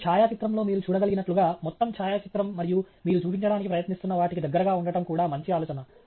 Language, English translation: Telugu, And in a photograph, as you can see, it’s also good idea to have both an overall photograph and a close up of what you are trying to show